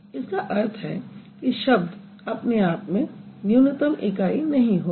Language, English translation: Hindi, That means the word itself is not the minimal unit